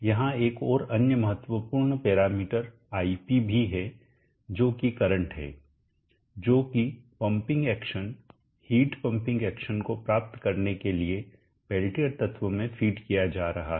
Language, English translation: Hindi, There is also another important parameters It which is the current that is being fed into the peltier element to achieve the pumping action, the heat pumping action